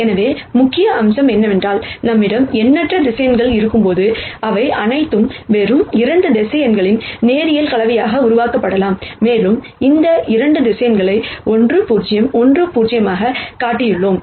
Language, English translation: Tamil, So, the key point being, while we have in nite number of vectors here, they can all be generated as a linear combination of just 2 vectors and we have shown here, these 2 vectors as 1 0 1 0 1